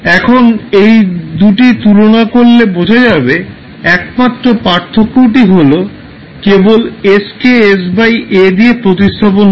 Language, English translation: Bengali, So now if you compare these two, the only difference is that you are simply replacing s by s by a